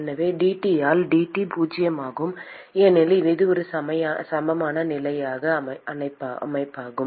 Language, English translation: Tamil, So dT by dt is zero because it is a steady state system